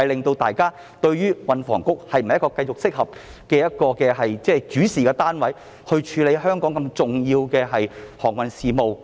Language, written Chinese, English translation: Cantonese, 大家不禁質疑，運房局是否適合繼續作為主事單位或政策局，處理對香港如此重要的航運事務。, We cannot help but question whether it is appropriate for THB to continue its role as the unit or Policy Bureau in charge of maritime affairs which are of such great importance to Hong Kong